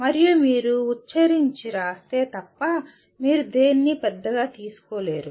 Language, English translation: Telugu, And unless you articulate and write it down you cannot take anything for granted